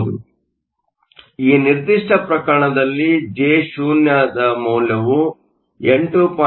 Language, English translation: Kannada, So, in this particular case, Jo comes out to be 8